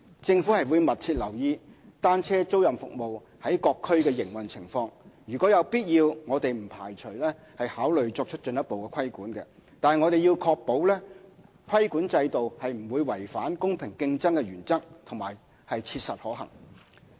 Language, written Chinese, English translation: Cantonese, 政府會密切留意單車租賃服務在各區的營運情況，如有必要，我們不排除考慮作出進一步規管，但要確保規管制度不會違反公平競爭的原則及切實可行。, The Government will closely monitor the operation of bicycle rental services in various districts . If necessary we do not preclude considering further regulating bicycle rental services but will need to ensure that the regulatory regime will not violate the principle of fair competition and is pragmatic and viable